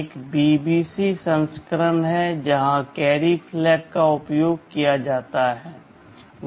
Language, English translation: Hindi, There is an BBC version where the carry flag is used